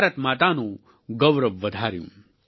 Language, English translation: Gujarati, They enhanced Mother India's pride